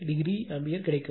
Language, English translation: Tamil, 43 degree ampere right